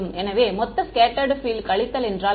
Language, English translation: Tamil, So, what is scattered field total minus